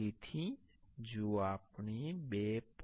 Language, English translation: Gujarati, So, if we put the 2